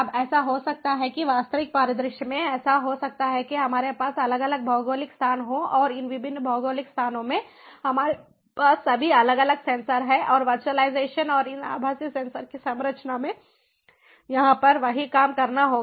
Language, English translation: Hindi, now it might so happen that in real scenarios, it might so happen that we have different geographical locations and in these different geographical locations we have first of all different sensors in different geographical locations, and the same thing has to be done over here is virtualization and the composition of these virtual sensors